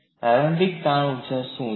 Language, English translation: Gujarati, What is the initial strain energy